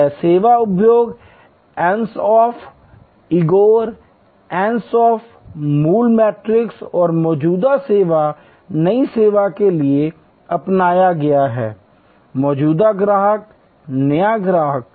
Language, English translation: Hindi, This is the adopted for the service industry Ansoff, Igor Ansoff original matrix and existing service new service; existing customer, new customer